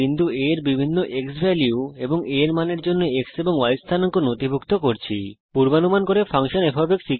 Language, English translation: Bengali, Use the Record to Spreadsheet option to record the x and y coordinates of point A, for different xValue and a values